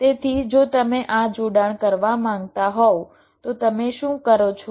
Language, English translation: Gujarati, so if you want to make this connection, what to do